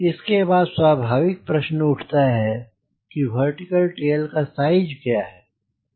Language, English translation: Hindi, so once i do that, then natural question comes: what will be the vertical tail size